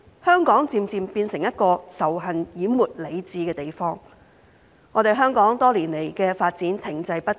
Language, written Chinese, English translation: Cantonese, 香港漸漸變成一個仇恨淹沒理智的地方，香港多年來的發展停滯不前。, Hong Kong has gradually become a place where hatred overwhelms reason and its development has been stagnant for years